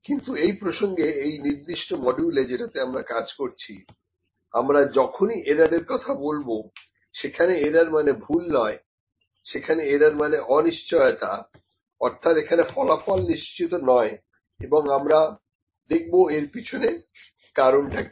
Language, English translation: Bengali, But in this context in this specific module in which we were working, when we will talk about error, the errors are not mistakes, errors is just uncertainty that the results are not certain and we just need to see what is the reason for that